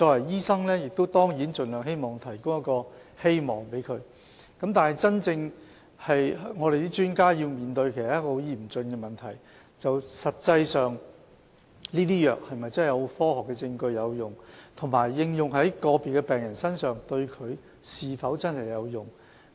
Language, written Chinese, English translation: Cantonese, 醫生當然希望盡量給予病人一個希望，然而，我們的專家要面對很嚴峻的問題，就是這些藥物實際上是否真的有科學證據證明有效，以及應用在個別病人身上是否真的有效。, Doctors certainly wish to give patients hope as far as possible . Nevertheless our experts have to face a critical question that is whether the efficacy of this drug is actually proved with scientific evidence and whether it will really be effective if it is administered to individual patients